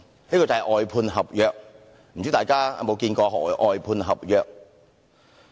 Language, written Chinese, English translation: Cantonese, 這就是外判合約，不知道大家知否何謂"外判合約"？, This is an outsourcing contract . I am not sure whether Members know what an outsourcing contract is